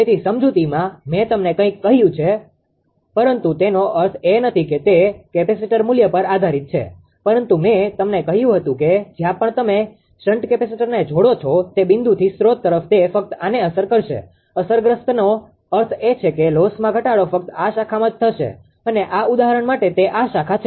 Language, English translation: Gujarati, So, in in the explanation I told you something ah, but it does not mean depends of course on the capacitor value but I told you that wherever you connect the capacitor; shunt capacitor from that point to the to the source right, it will be affected only this; affected means that loss reduction will occur only in this these branch and these branch for this example right